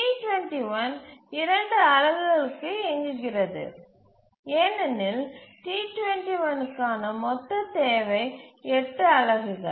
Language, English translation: Tamil, The T2 runs for two units because the total requirement for T2 is 8 units